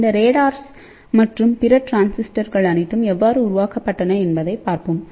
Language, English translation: Tamil, Then let us see how all these radars and other transistors were developed